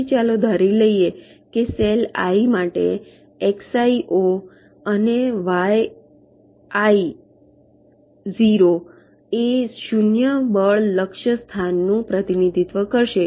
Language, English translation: Gujarati, so, ah, for the cell i, lets assume that x, i zero and yi zero will represents the zero force target location